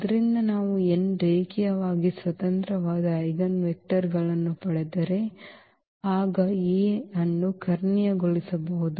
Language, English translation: Kannada, So, if we get n linearly independent eigenvectors then A can be diagonalized